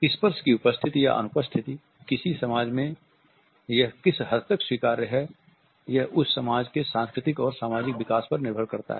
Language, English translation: Hindi, The presence or absence of touch the extent to which it is acceptable in a society depends on various sociological and cultural developments